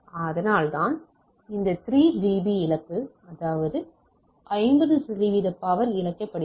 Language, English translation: Tamil, That is why that that 3 db loss etcetera we coming to play that is a 50 percent power is lost